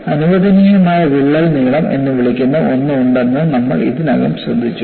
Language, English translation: Malayalam, And we have already noted that, there is something called permissible crack length